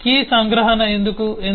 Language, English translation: Telugu, why is it a key abstraction